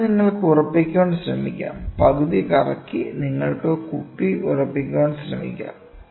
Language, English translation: Malayalam, So, you can try to fasten just the rotating half you can try to lock the bottle